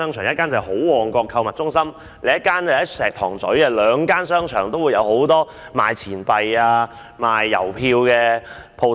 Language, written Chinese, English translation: Cantonese, 一間是好旺角購物中心，另一間在石塘咀，兩間商場都有很多售賣錢幣和郵票的店鋪。, One was Ho Mong Kok Shopping Center in Mong Kok and the other was in Shek Tong Tsui . There were many stamp and coin shops in both centres